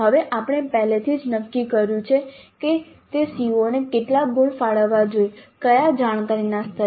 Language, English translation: Gujarati, Now we already have decided how many marks to be allocated to that COO at what cognitive levels